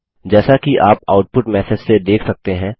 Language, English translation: Hindi, As you can see from the output message